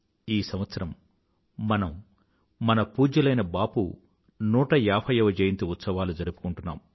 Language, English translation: Telugu, This year we are celebrating the 150th birth anniversary of revered Bapu